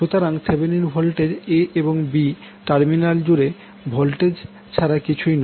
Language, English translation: Bengali, So Thevenin voltage is nothing but the voltage across the terminal a b